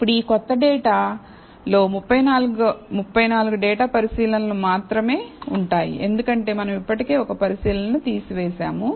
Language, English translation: Telugu, So, now, this new data will contain only 34 data observations, because we have already removed one observation